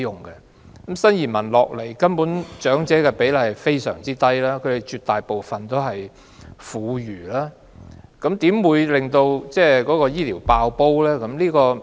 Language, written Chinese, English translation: Cantonese, 來港的新移民中，長者的比例根本非常低，他們絕大部分是婦孺，又如何導致醫療服務"爆煲"呢？, But elderly people only account for a tiny fraction of the new immigrants . Most of them are women and children . How can they overload our health care system?